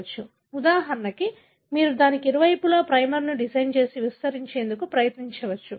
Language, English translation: Telugu, For example, you can design a primer on either side of it and try to amplify